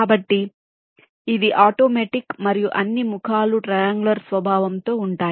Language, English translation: Telugu, ok, so it is automatic, and all the faces will be triangular in nature